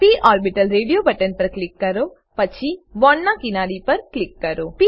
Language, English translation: Gujarati, Click on p orbital radio button then click on one edge of the bond